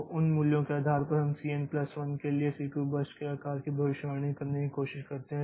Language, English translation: Hindi, So, based on those values we try to predict the CPU burst size for the Cn plus 1